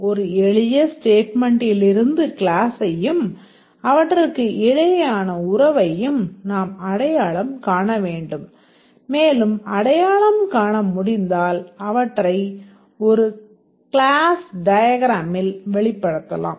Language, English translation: Tamil, We need to identify the classes and also the relationship that exists between them and if we are able to identify, we can represent them in a class diagram